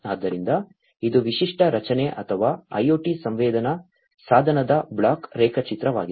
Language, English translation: Kannada, So, this is the typical structure or the block diagram of an IoT sensing device